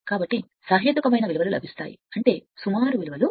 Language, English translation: Telugu, So, such that you will get the reasonable values, I mean approximate values